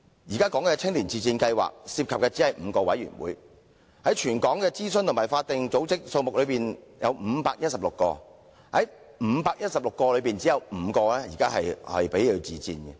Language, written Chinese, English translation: Cantonese, 現時青年委員自薦試行計劃涉及的只是5個委員會，而全港的諮詢和法定組織則有多達516個卻只有其中5個接受自薦，真的是九牛一毛。, At present there are only five committees under the pilot scheme . Of the 516 advisory and statutory bodies in Hong Kong only five would accept self - recommendation which is just a drop in the bucket